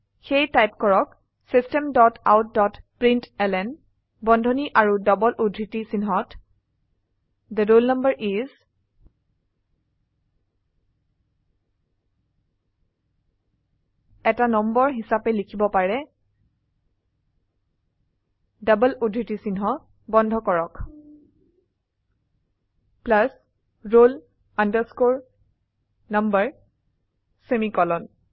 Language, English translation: Assamese, So, type System dot out dot println within brackets and double quotes The roll number is we can type it as number is close the double quotes plus roll number semicolon